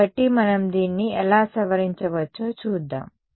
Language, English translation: Telugu, So, let us see how we can modify this